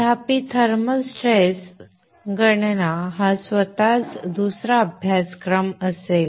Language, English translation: Marathi, However the thermal stress calculation will be another course in itself